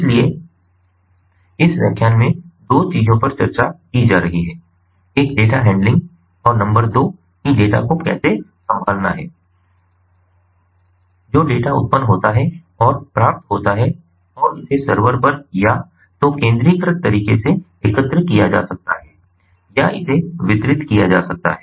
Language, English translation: Hindi, so we have two things being discussed in this lecture: number one, how to handle the data, data handling, and number two is the data that is generated and is received may be collected at a server, either in a centralized way or may it can be distributed